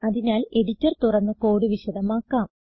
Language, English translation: Malayalam, So, Ill open the editor and explain the code